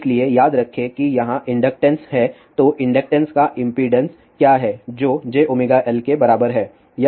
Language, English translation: Hindi, So, remember if there is an inductance what is the impedance of an inductance is equal to j omega L